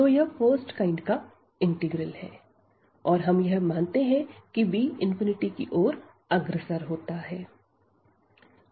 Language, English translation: Hindi, So, this is the integral of first kind and we assume here that this b is approaching to infinity